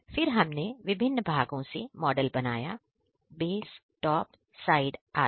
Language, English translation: Hindi, Then we made the model from different parts – base, top, side, etc